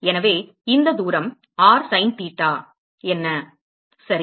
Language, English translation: Tamil, So, this is r what is this distance r sin theta ok